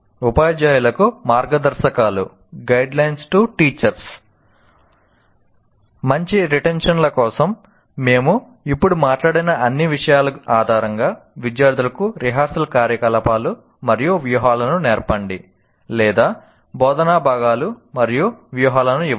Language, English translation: Telugu, Now guidelines to teachers based on all the things that we have now talked about, for good retention, teach students rehearsal activities and strategies or give the instructional components and strategies